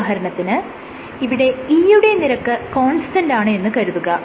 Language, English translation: Malayalam, So, let us assume E is constant